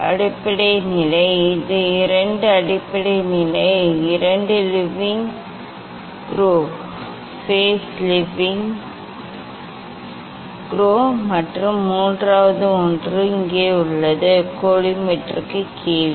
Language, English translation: Tamil, base level, this is the base level there are two; there are two leveling screw, base leveling screw and third one is here, below the collimator